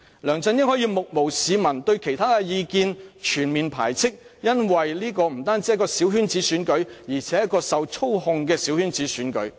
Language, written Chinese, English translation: Cantonese, 梁振英可以目無市民，對異見全面排斥，因為這不單是一個小圈子選舉，而且是一個受操控的小圈子選舉。, LEUNG Chun - ying can totally ignore the public and exclude in entirety all the dissenting opinions since he was returned by a small circle election manipulated by the Central Government